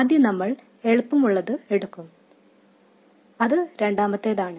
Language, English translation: Malayalam, We will take the easier one first, which is the second one